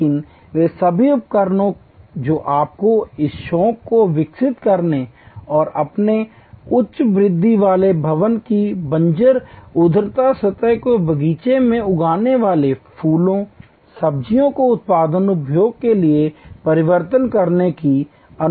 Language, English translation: Hindi, But, all the implements that will allow you to develop that hobby and convert the barren vertical surface of your high rise building in to a garden growing flowers, vegetables for productive consumption